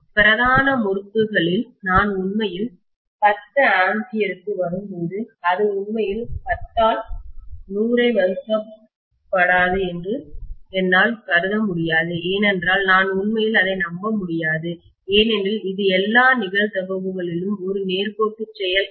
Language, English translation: Tamil, I can’t assume that when I am actually coming to 10 ampere in the main winding, it will not be really 10 divided by 100, I cannot really rely on that because it is not a linear behavior in all probability